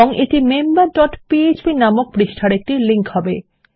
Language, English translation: Bengali, And this is going to be a link to a page called member dot php